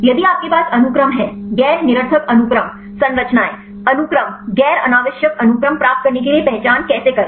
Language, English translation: Hindi, If you have the sequence; non redundant sequence structures, sequence identity how to get the non redundant sequences